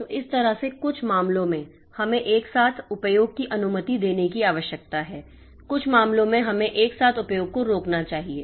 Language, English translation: Hindi, So, that way so, in some cases we are required to allow simultaneous access, some cases we are we are, we should prevent this simultaneous access